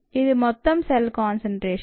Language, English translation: Telugu, this is a total cell concentration